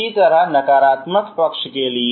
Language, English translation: Hindi, Similarly for the negative side, ok